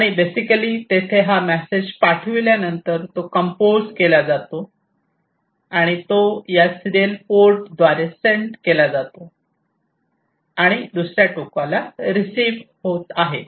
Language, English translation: Marathi, And basically there after this message is sent it is composed and it is sent through this serial port and is being received at the other end, right